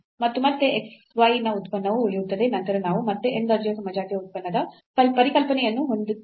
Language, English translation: Kannada, And again the function of x y remain then we again have this the concept of the homogeneous function of order n